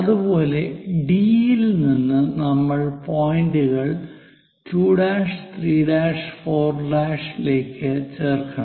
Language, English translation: Malayalam, From from C, we are going to connect 1, 2, 3, and 4 points